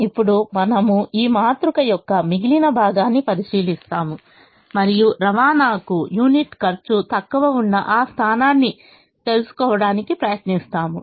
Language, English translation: Telugu, now we look at the remaining portion of this matrix and try to find out that position which has the least unit cost of transportation